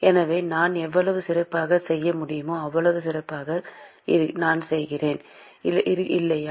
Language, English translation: Tamil, So, the better I can do the better placed I am, right